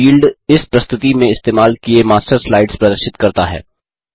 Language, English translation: Hindi, The Used in This Presentation field displays the Master slides used in this presentation